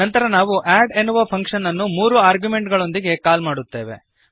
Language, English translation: Kannada, Then we call the function add with three arguments